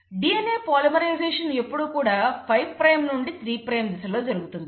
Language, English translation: Telugu, The DNA polymerisation always happens in the direction of 5 prime to 3 prime